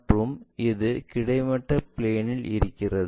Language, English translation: Tamil, This is the horizontal plane